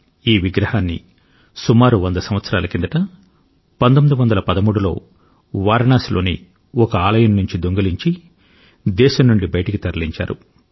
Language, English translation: Telugu, This idol was stolen from a temple of Varanasi and smuggled out of the country around 100 years ago somewhere around 1913